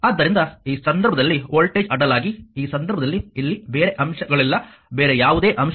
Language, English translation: Kannada, So, in this case voltage across in this case there is no other element here, right no other element